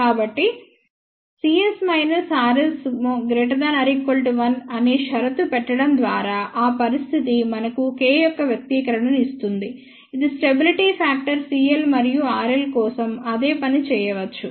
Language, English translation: Telugu, So, by putting the condition that magnitude of c s minus r s greater than or equal to 1, that condition gives us the expression for K which is stability factor same thing can be done for c l and r l